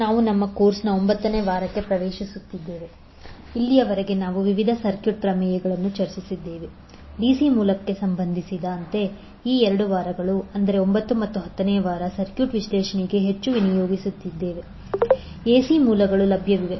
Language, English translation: Kannada, Namaskar So we are entering into the ninth week of our course, till now we discussed various circuit theorems, with respect to DC source, these 2 weeks, that is ninth and tenth week will devote more towards circuit analyst is, when the AC sources available